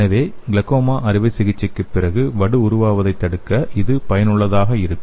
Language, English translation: Tamil, So this will be useful for preventing the scar formation after the glaucoma surgery